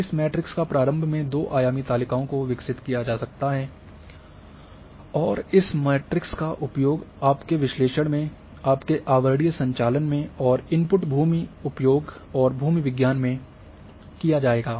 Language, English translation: Hindi, So, these two dimensional tables an initial over this matrix can be developed and this matrix will be used in your analysis, in your overlay operations and the input would be land use and geology